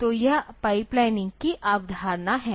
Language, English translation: Hindi, So, this is the concept of pipelining